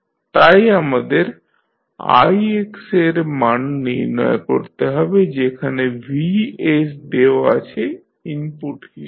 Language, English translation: Bengali, So, we need to find the value of ix and vs is given as an input